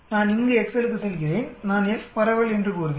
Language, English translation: Tamil, I go to excel here then I will say F distribution